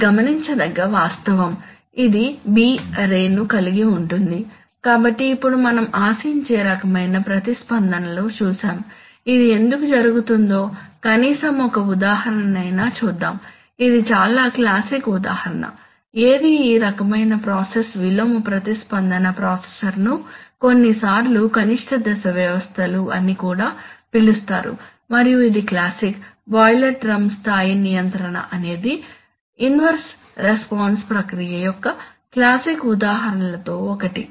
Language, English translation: Telugu, This is a fact which is to be noted which has some b array, so now having seen the kind of responses that we expect let us at least see one example of why it happens at all, so let us, this is a very classic example of a, what is this kind of process inverse response processor sometimes also called non minimum phase systems and this is a classic, boiler drum level control is one of the very classic examples